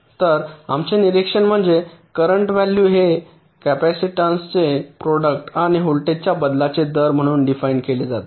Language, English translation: Marathi, so our observation is: the value of current is defined as the product of the capacitance and the rate of change of voltage